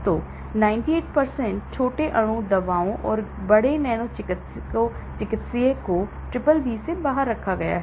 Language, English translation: Hindi, So, 98% of small molecule drugs and large nano therapeutics are excluded from the BBB